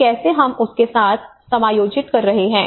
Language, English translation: Hindi, So how we have to adjust with that